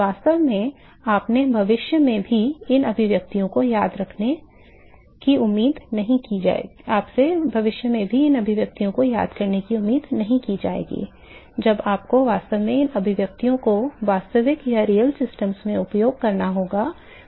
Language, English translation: Hindi, In fact, you would not be expected to remember these expressions even in future when you are actually have to use these expressions in real systems